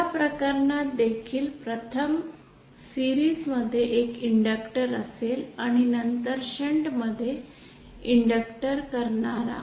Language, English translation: Marathi, In this case also first we will have inductor in series and then an inductor in shunt